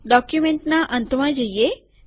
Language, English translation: Gujarati, Lets go to the end of the document